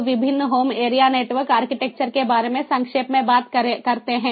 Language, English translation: Hindi, now let us talk about in brief about the different home area network architectures